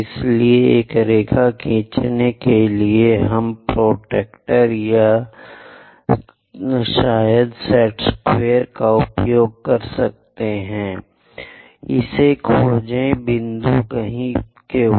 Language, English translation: Hindi, So, use our protractor or perhaps a squares to draw a line, locate this point somewhere Q